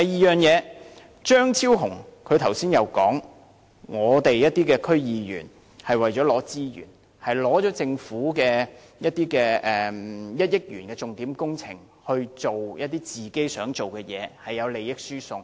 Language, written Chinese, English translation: Cantonese, 再者，張超雄議員剛才說，有些區議員為了獲取資源，利用政府的1億元重點工程來做自己想做的事情，涉及利益輸送。, Furthermore just now Dr Fernando CHEUNG said that for the sake of obtaining resources some DC members made use of the Governments signature project of 100 million to do what they themselves wanted to do and were involved in transfer of benefits